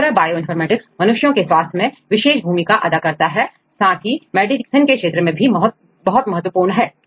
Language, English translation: Hindi, Likewise Bioinformatics plays a major role on different aspects in human health as well as for medicine